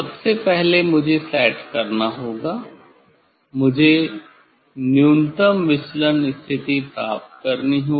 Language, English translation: Hindi, first, I have to set, I have to get minimum deviation position